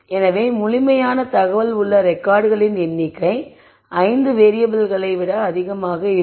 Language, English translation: Tamil, So, the number of records where information is complete is going to be lot more than the 5 variables